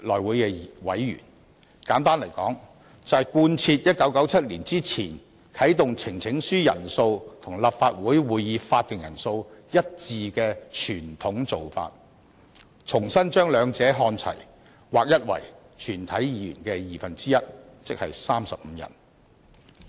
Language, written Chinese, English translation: Cantonese, 簡言之，我們提出修訂，就是貫徹1997年前啟動呈請書人數與立法會會議法定人數一致的傳統做法，重新把兩者看齊，劃一為全體議員的二分之一，即35人。, Simply put the amendment proposed by us seeks to reinstate the pre - 1997 convention that the number of Members required to activate the petition mechanism should be the same as the quorum of the Council by realigning the two and setting them both at 35 that is one half of all Members